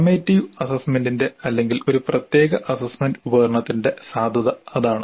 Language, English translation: Malayalam, So, that is the validity of the summative assessment or a particular assessment instrument